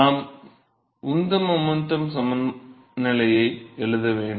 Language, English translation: Tamil, So, we have to write the momentum balance